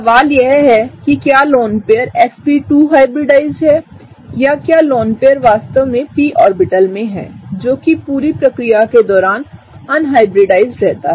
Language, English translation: Hindi, The question lies whether the lone pair is sp2 hybridized or whether the lone pair really resides in the p orbital, which is, which remains unhybridized throughout the process